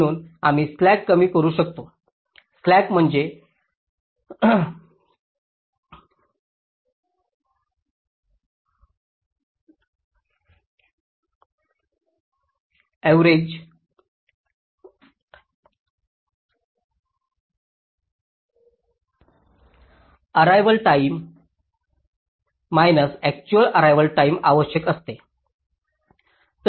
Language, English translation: Marathi, you see, just to recall, slack is defined as required arrival time minus actual arrival time